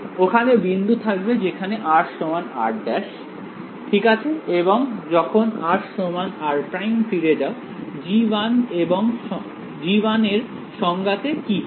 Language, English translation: Bengali, They will be points where r is equal to r prime all right and when r is equal to r prime go back to the definition of g 1 what happens